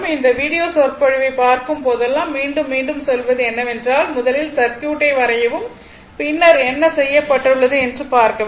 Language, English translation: Tamil, So, whenever you I tell again and again whenever look in to this video lecture first you draw the circuits, then you look what has been done